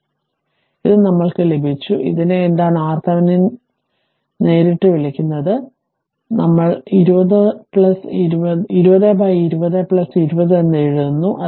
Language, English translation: Malayalam, So, this ah so we got this one your, ah what you call this R theve[nin] R thevenin is equal to directly, we are writing 20 into 20 upon 20 plus 20